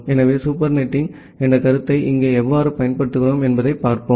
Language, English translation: Tamil, So, let us see that how we apply the concept of super netting here